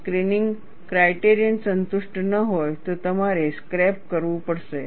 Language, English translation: Gujarati, If the screening criteria is not satisfied, you have to scrap